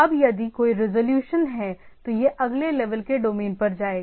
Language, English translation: Hindi, Now if there is any resolution, it will go to that next level domains